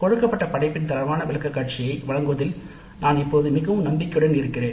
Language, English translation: Tamil, I am now quite confident of making quality presentation of given work